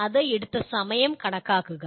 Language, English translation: Malayalam, Calculate time taken by that